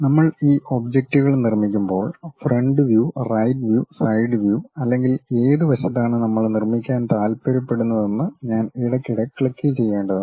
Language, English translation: Malayalam, When we are constructing these objects we may have to occasionally click whether I would like to construct front view, right view, side view or on which side we would like to construct